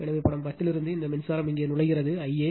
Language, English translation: Tamil, So, from figure 10, these current it is entering here I a